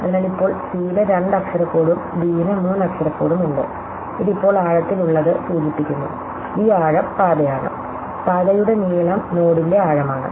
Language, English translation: Malayalam, So, now c has a two letter code and d has a three letter code, this is indicated by the in depth now, the depth this is path, the length of the path is the depth of the node